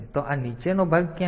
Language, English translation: Gujarati, So, this where is this lower part